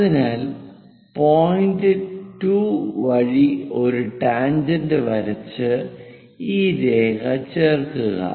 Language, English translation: Malayalam, So, 8 point 2 draw a tangent join this line